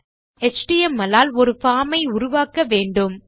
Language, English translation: Tamil, For the html we need to create a form